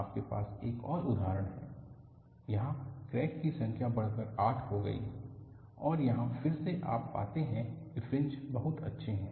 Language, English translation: Hindi, You have another example, where, the number of cracks have increased to 8; and here again, you find the fringes are very nice